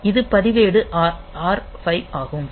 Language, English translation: Tamil, So, this is the register R 5